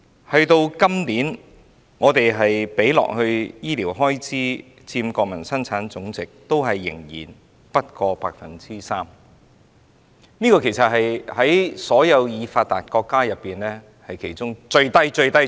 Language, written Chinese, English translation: Cantonese, 我們今年的醫療開支佔國民生產總值仍然不過 3%， 是在所有發達國家當中數字最低的。, This year our healthcare expenditure still accounts for no more than 3 % of our Gross Domestic Product GDP the lowest level among all the developed economies